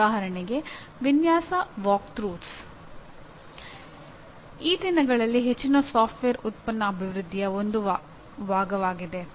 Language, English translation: Kannada, For example something called design walkthroughs is a part of most of the software product development these days